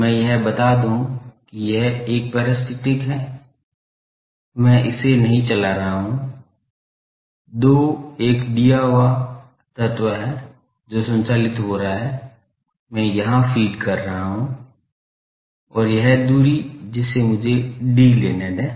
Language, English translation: Hindi, So, let me point out that this is, 1 is a parasite, I am not driving it, the 2 is a given element this is driven seen that I am having a feed here driven and this spacing is let us take d now